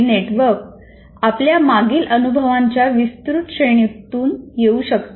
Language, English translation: Marathi, These networks may come from wide range of our past experiences